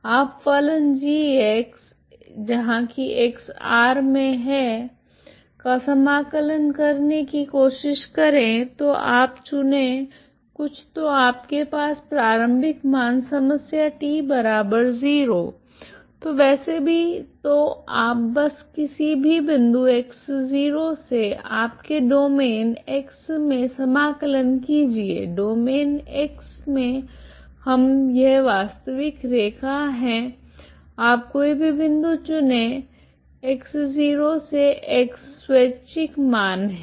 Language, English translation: Hindi, You try to integrate this is the function G of X, X belongs to full R so you choose some so have initial value problem T equal to zero so anyway so you can just integrate from any fix point X knot in your X domain, X domain we is this real line ok you can choose any point X knot to X, X is arbitrary value